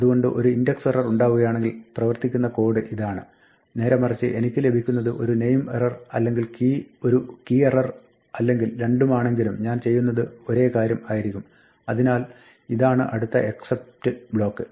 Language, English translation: Malayalam, So, this is the code that happens if an index error occurs on the other hand maybe I could get a name error or a key error for both of which I do the same thing, so this is the next except block